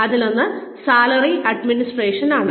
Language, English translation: Malayalam, One is salary administration